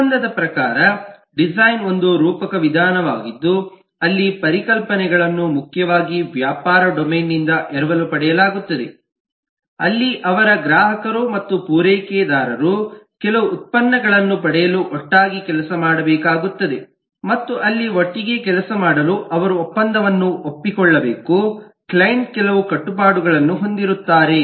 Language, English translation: Kannada, design by contract is a kind of a metaphoric approach where the concepts are borrowed primarily from the business domain, where their clients and suppliers have to work together for getting certain products, and to be able to work together there they have to agree on a contract where the client has certain obligations, the supplier has certain obligations and the client gets certain benefits